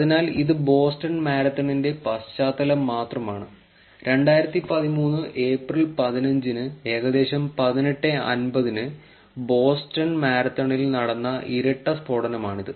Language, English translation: Malayalam, So, this is just back ground of the Boston Marathon itself, it is a twin blast occurred during Boston Marathon, April 15th 2013 at about 18:50 GMT